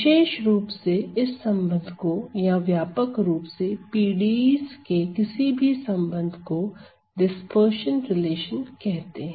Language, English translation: Hindi, Now in particular this relation or relation to any PDEs in general are also called as the dispersion relation